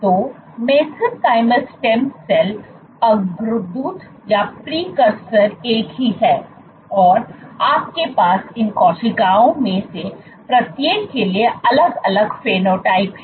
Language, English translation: Hindi, So, mesenchymal stem cells precursor is the same, you have distinct phenotypes for each of these cells